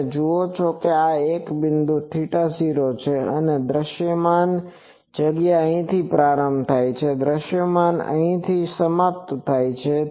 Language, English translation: Gujarati, You see this is one point theta is equal to 0 so, visible space starts from here visible space ends here